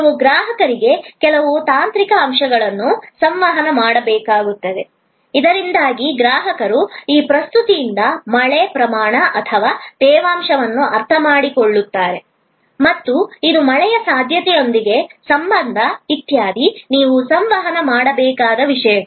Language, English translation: Kannada, You will need to communicate to the customer certain technical aspects, so that the customer understands the by that presentation like precipitation rate or the humidity and it is relationship with possibility of rain, etc, those things you have to communicate